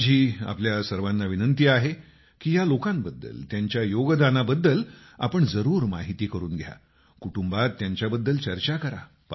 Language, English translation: Marathi, I urge all of you to know more about these people and their contribution…discuss it amongst the family